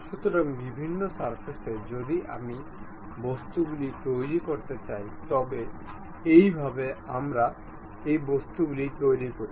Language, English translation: Bengali, So, on different surfaces if I would like to really construct objects, this is the way we construct these objects